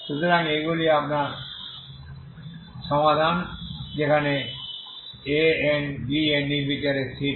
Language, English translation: Bengali, So these are your solutions where A n, B n are arbitrary constants, okay